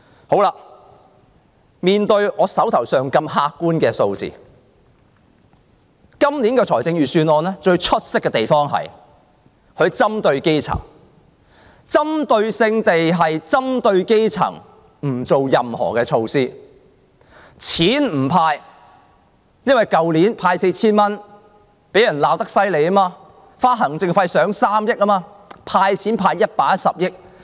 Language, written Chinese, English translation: Cantonese, 好了，面對這些客觀的數字，今年的預算案最出色的地方是針對基層，針對性地不採取任何措施，不"派錢"，因為去年每人派 4,000 元，行政費花了3億元，被人罵得緊。, Well then in the face of such objective figures the most outstanding point of this years Budget is that it targets at the grassroots in the sense that neither relief measures nor handing out of money is provided especially for them . Last year the Government spent 300 million on administrative costs just to hand out 4,000 each and it was subsequently bitterly criticized